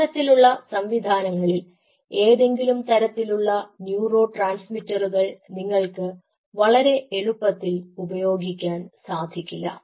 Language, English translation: Malayalam, so in such systems you cannot rampantly use any kind of neurotransmitters so easily, because they are so fragile they are